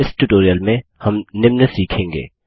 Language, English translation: Hindi, In this tutorial we will learn the followings